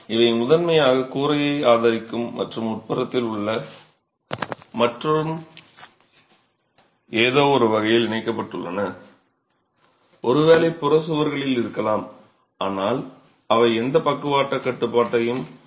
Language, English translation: Tamil, These are primarily to support the roof and are present in the interior and are connected in some way probably just resting onto the peripheral walls but they do not provide any lateral restraint